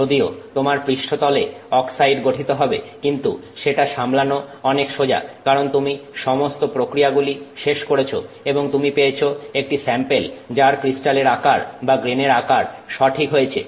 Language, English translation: Bengali, So, you may still have a surface oxide which which will form but that is much easier to handle because let's say you finish all the processing and you end up with the sample that has the correct crystal size or the grain size